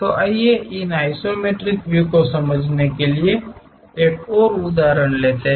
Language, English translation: Hindi, So, let us take one more example to understand these isometric views